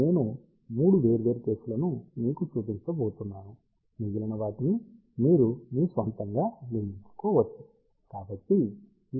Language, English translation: Telugu, I am just going to show you for 3 different cases you can built the rest on your own